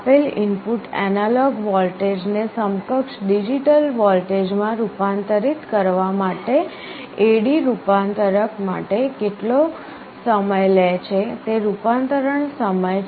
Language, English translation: Gujarati, Conversion time is how much time it takes for the A/D converter to convert a given input analog voltage into the digital equivalent